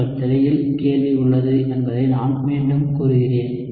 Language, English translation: Tamil, I will repeat the question is there on your screen